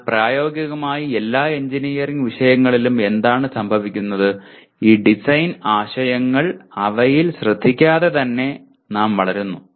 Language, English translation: Malayalam, But what happens in practically all the engineering subjects, we grow with these design concepts without almost paying any attention to them